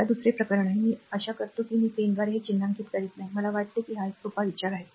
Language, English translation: Marathi, Now, second case is, it is I hope I am not marking it by pen I think it is simple think